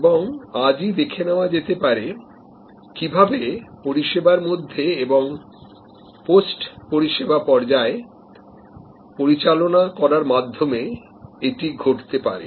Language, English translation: Bengali, And let see today, how that can happen by managing the in service and the post service stages well